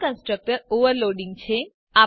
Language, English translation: Gujarati, This is constructor overloading